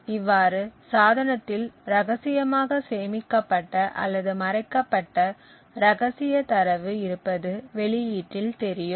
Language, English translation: Tamil, Thus, we see that the secret data stored secretly or concealed in the device is visible at the output